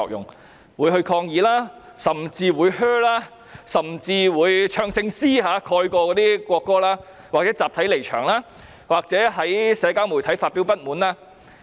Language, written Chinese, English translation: Cantonese, 他們會抗議、喝倒采，甚至是以唱聖詩的聲音蓋過國歌，或集體離場，或在社交媒體表達不滿。, They would protest boo or even drown out the national anthem with singing of hymns or stage a collective walk - out or express discontent on social media